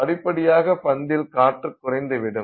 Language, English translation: Tamil, So, gradually the gas will escape from the ball